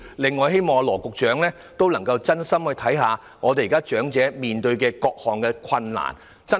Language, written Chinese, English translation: Cantonese, 此外，希望羅局長能真心看看長者現時面對的各種困難，對症下藥。, Besides I hope Secretary Dr LAW Chi - kwong can truly look at the various difficulties currently faced by the elderly and prescribe the right remedies